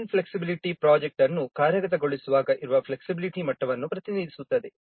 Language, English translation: Kannada, Development flexibility represents the degree of flexibility that exists when implementing the project